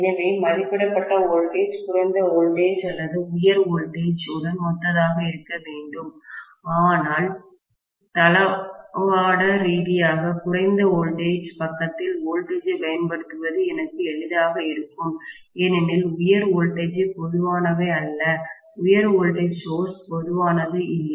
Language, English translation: Tamil, So the rated voltage has to be corresponding to either low voltage high voltage but logistically it will be easy for me to apply the voltage on the low voltage side rather than high voltage side because high voltages are not common, high voltage sources are not common, right